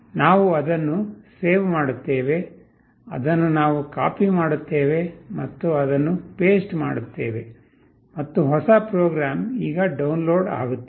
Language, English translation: Kannada, We save it, we copy this, we paste it and the new program is getting downloaded